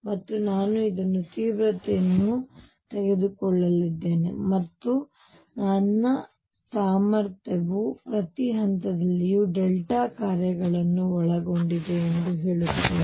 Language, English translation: Kannada, And I am going to take an extreme in this and say that my potential actually consists of delta functions at each point